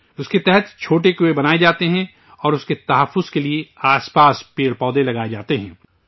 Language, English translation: Urdu, Under this, small wells are built and trees and plants are planted nearby to protect it